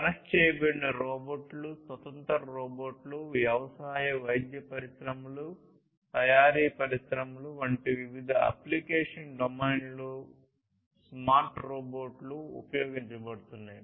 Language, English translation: Telugu, Technologies such as connected robots, standalone robots, smart robots being used in different application domains such as agriculture, medical industries, manufacturing industries, and so on